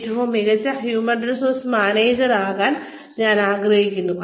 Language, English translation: Malayalam, I would like to be, the best human resources manager